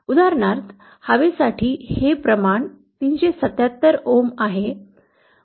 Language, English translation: Marathi, For example for air this ratio comes out to be 377 ohms